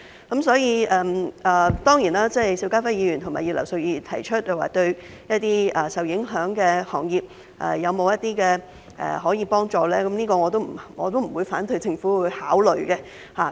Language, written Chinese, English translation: Cantonese, 當然，對於邵家輝議員和葉劉淑儀議員提出向受影響行業提供幫助的建議，我並不反對政府考慮。, Of course I have no objection that the Government considers Mr SHIU Ka - fai and Mrs Regina IPs proposal to provide assistance for the affected industries